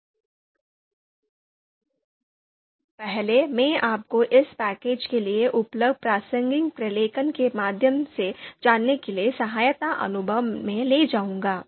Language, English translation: Hindi, So first, I will take you to the help section to make you you know go through the relevant documentation that is available for this package